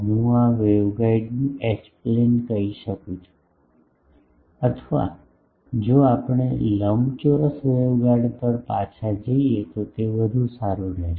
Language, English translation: Gujarati, So, this is the I can say H plane of the waveguide or if we go back to the rectangular waveguide that will be better